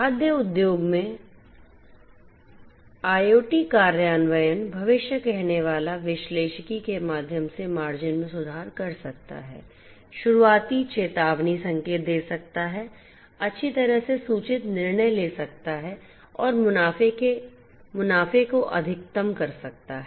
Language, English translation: Hindi, IoT implementation in the food industry can improve the margins through predictive analytics, spotting early warning signs, making well informed decisions and maximizing profits